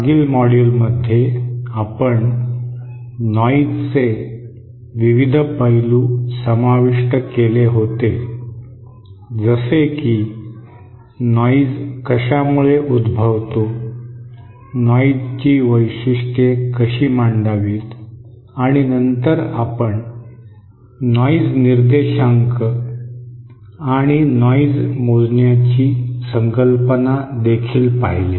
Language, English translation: Marathi, In the previous module we had covered the various aspects of noise how noise originates how to characterize noise and then we also introduced the concept of noise figure and noise measure